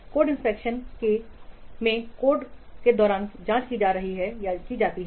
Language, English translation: Hindi, So, in code inspection, the code is examined